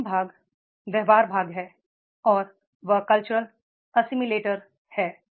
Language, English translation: Hindi, The last part and that is the behavioral part and that is the culture assimilator